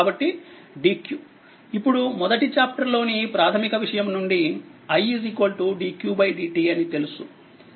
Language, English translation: Telugu, So, dq as we know from the very first chapter the basic concept that i is equal to dq by dt